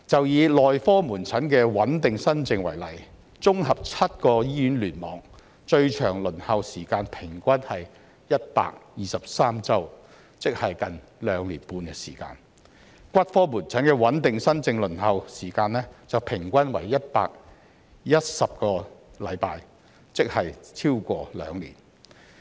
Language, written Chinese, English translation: Cantonese, 以內科門診的穩定新症為例，綜合7個醫院聯網，最長輪候時間平均為123周，即接近兩年半；骨科門診的穩定新症輪候時間則平均為110周，即超過兩年。, Take the stable new cases in medical outpatient clinics as an example the longest waiting time in the seven hospital clusters is 123 weeks on average that is nearly two and a half years . As for stable new cases in orthopaedic outpatient clinics the average waiting time is 110 weeks that is more than two years